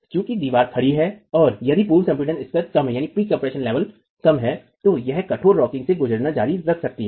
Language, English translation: Hindi, That is since the wall is rocking and if the pre compression levels are low, it can continue to undergo rigid rocking